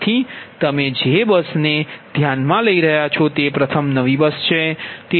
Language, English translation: Gujarati, so any bus, you are considering its a new bus first, right